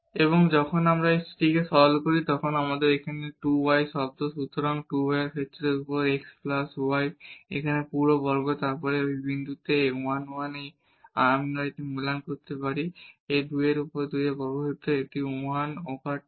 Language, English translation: Bengali, And when we simplify this so this is a 2 y term here; so, 2 y over x plus y a whole square and then at this point 1 1 we can evaluate this, this is 2 over 2 squares this is 1 over 2